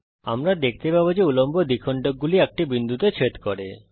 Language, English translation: Bengali, We see that the two angle bisectors intersect at point